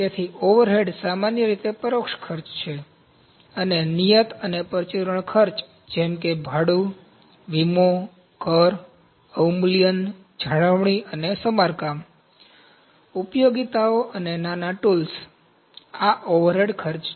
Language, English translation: Gujarati, So, overhead is generally indirect, and fixed and miscellaneous costs such as rent, insurance, taxes, depreciation, maintenance, and repair, utilities, and small tools, this is overhead cost